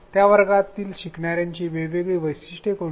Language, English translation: Marathi, What are the different characteristics of the learners in that class